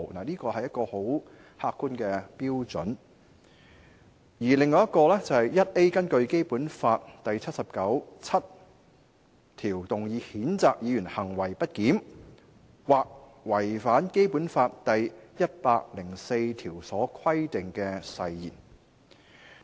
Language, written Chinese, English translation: Cantonese, 這是十分客觀的標準；另一個機制是第 49B 條所訂，根據《基本法》第七十九條第七項動議譴責議員行為不檢或違反《基本法》第一百零四條所規定的誓言。, This is a very objective standard . Another mechanism is provided for in RoP 49B1A whereby a motion shall be moved under Article 797 of the Basic Law to censure a Member for misbehaviour or breach of oath under Article 104 of the Basic Law